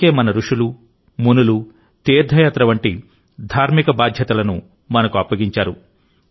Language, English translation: Telugu, That is why our sages and saints had entrusted us with spiritual responsibilities like pilgrimage